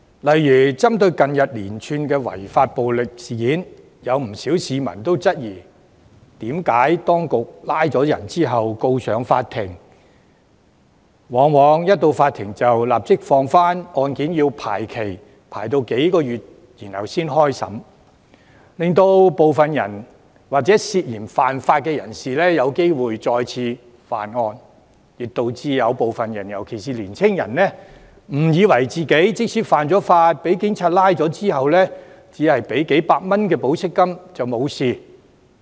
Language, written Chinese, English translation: Cantonese, 例如，針對近月連串違法暴力事件，不少市民質疑為何當局拘捕有關人士並將他們送上法庭後，法庭往往會准許他們保釋，案件要排期數個月後才開審，令涉嫌犯法人士有機會再次犯案，亦導致部分人士，尤其是年青人，誤以為即使犯法被捕，只要繳付數百元保釋金便沒事。, For instance in regard to the violent offences that occurred in recent months many members of the public have questioned why the arrested persons were released on bail by the Court and that the cases are scheduled for trial months later thus allowing the suspects the opportunity of breaking the law again and sending the wrong message particularly to young people that they would only need to pay a few hundred dollars of bail even if they were arrested